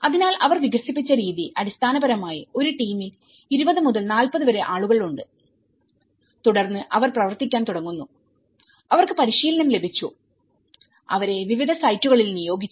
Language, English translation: Malayalam, So, the way they have developed is basically, there is 20 to 40 people in a team and then they start working on, they have been got training and they have been implementing in different sites